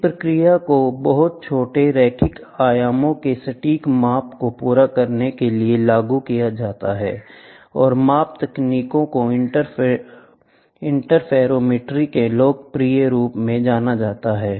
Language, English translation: Hindi, This phenomenon is applied to carry out precise measurement of very small linear dimensions and the measurement techniques are popularly known as interferometry